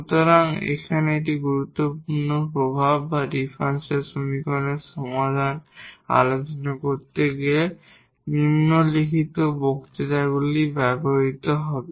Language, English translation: Bengali, So, this is a very important effect here which will be used in following lectures to discuss the solution of the differential equations